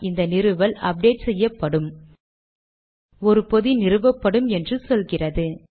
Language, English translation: Tamil, Now if I say install, it says that this installation will be updated, one package will be installed